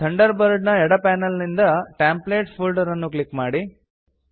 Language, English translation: Kannada, From the Thunderbird left panel, click the Templates folder